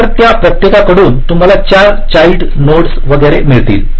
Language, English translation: Marathi, so from each of them you get four child nodes and so on